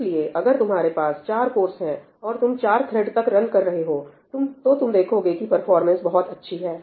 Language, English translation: Hindi, So, if you have 4 cores and you are running upto four threads, you will see very good performance